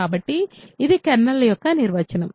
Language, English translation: Telugu, So, this is the definition of the kernel